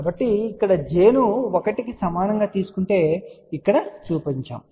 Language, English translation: Telugu, So, over here if we take j equal to 1 which is what is shown over here